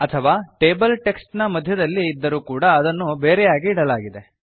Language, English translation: Kannada, In other words, even though the table appear in between some text, it has been put separately